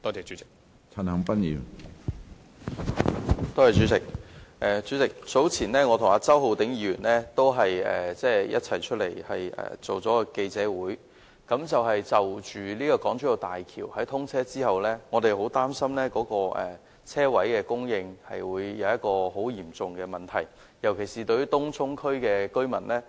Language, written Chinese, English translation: Cantonese, 主席，我早前與周浩鼎議員曾召開記者會，我們擔心大橋通車之後，泊車位的供應將成為很嚴重的問題，尤其是對東涌居民來說。, President Mr Holden CHOW and I held a press conference some time ago . We are concerned that the supply of parking spaces will become a serious problem especially to the Tung Chung residents after the commissioning of HZMB